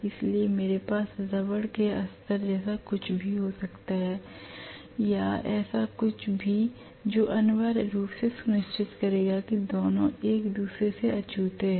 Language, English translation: Hindi, So I may have something like a rubber lining or whatever so that will essentially make sure that the two are insulated from each other